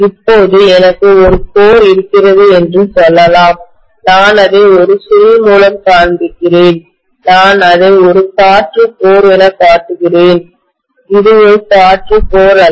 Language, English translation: Tamil, Now let us say I have a core and I am just showing that with a coil, I am showing it as an air core, it is not an air core